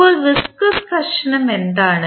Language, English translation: Malayalam, Now, what is viscous friction